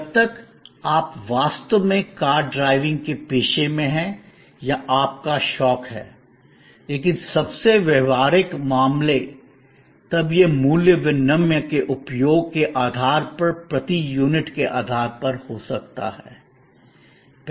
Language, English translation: Hindi, Unless, you really are in the profession of car driving or it is your hobby, but was most practical cases, then it could be based on this per unit of usage basis of value exchange